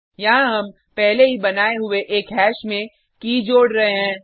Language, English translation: Hindi, Here we are adding a key to an already created hash